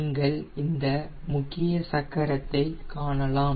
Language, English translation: Tamil, you can see this is the main wheel